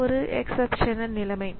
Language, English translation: Tamil, So, this is an exceptional situation